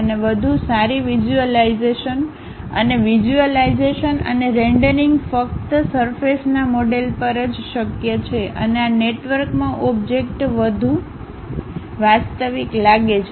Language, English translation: Gujarati, And, better visualization and visualization and rendering is possible only on surface models and the objects looks more realistic in this network